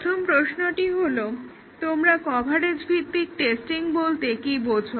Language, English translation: Bengali, The first question is what do you understand by a coverage based testing